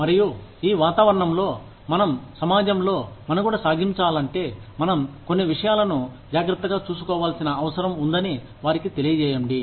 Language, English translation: Telugu, And, let them know that, if we want to survive in the society, in this environment, we need to take care of certain things